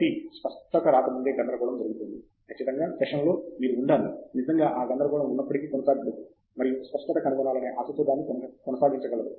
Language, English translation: Telugu, So, there is going to be chaos before clarity comes in, for sure in the session, you have to be really able to persist though that chaos and sustain that with the hope of finding the clarity